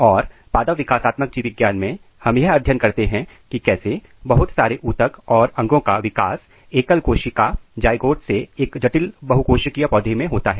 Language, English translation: Hindi, And plant developmental biology is a study of how various tissues and organs are developed starting from a single cell zygote in a complex multicellular plants